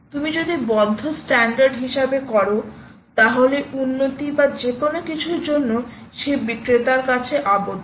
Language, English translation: Bengali, if you do as closed standard ah, you are bound to that vendor right for any further improvements or anything